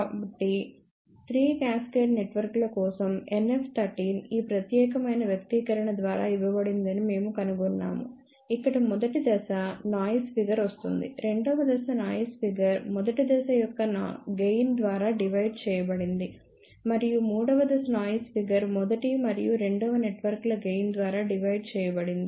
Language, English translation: Telugu, So, for 3 cascaded networks we found out NF 13 is given by this particular expression, where first stage noise figure comes as it is, second stage noise figure is divided by gain of the first stage, and for third stage noise figure is divided by gain of first as well as second networks